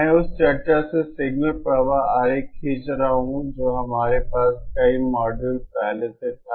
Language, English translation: Hindi, Signal flow diagram I am drawing from the discussion that we had many modules ago